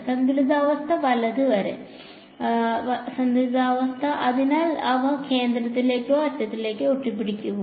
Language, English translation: Malayalam, Until equilibrium right; so, they will they be clumped up towards the centre or towards the ends